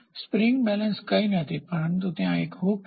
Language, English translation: Gujarati, Spring balance is nothing, but a hook is there